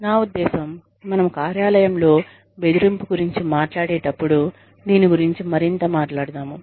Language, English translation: Telugu, I mean, we will talk more about this, when we talk about, workplace bullying